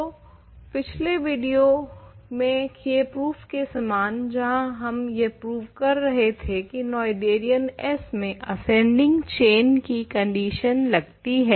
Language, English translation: Hindi, So, like in a previous proof in the previous video where we were doing proving that ascending chain condition implies Noetherian S